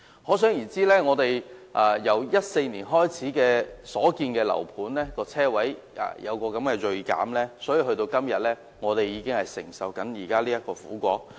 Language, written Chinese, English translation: Cantonese, 可想而知，香港由2014年開始所建的樓盤的車位數目銳減，以致我們現在便需要承受這個苦果。, One could imagine the bitter outcome today is caused by the dramatic drop in the number of parking spaces in property developments built in Hong Kong since 2014